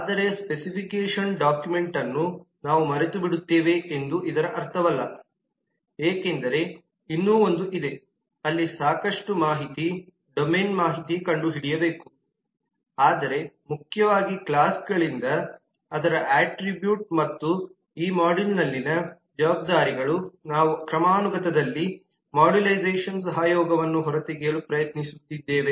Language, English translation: Kannada, but that does not mean that we forget about the specification document because there is still a lot of information, the domain information there which need to be found out, but primarily from the classes their attribute and responsibilities in this module we are trying to extract the collaboration the modularization in the hierarchy